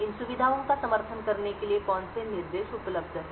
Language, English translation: Hindi, What are the instructions are available for supporting these features